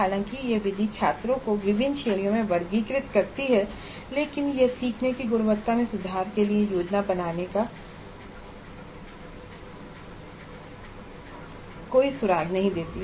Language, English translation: Hindi, While this method classifies students into different categories, it does not provide any clue to plan for improvement of quality of learning